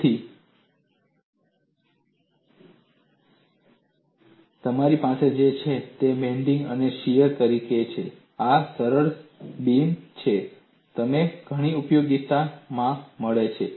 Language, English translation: Gujarati, So, what you are having is you are having bending as well as shear and this is the simplest beam that you come across in many applications